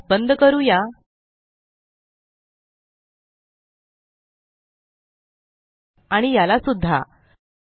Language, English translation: Marathi, Let me close this also